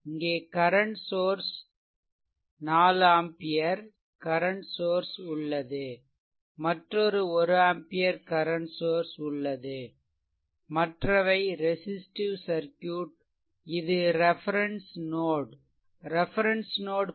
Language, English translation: Tamil, So, this is actually ah one current source is here, a 4 ampere current source is here, another one ampere current source is here and rest all the resistive circuit and this is your reference node potential is 0